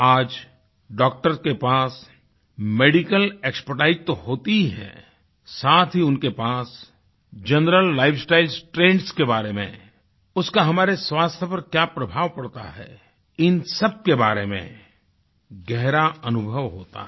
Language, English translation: Hindi, Today, doctors possess not just medical expertise; they have a vast experience on the co relation between general lifestyle trends and their effect on our health